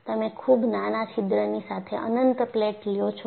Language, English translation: Gujarati, You take an infinite plate with a very small hole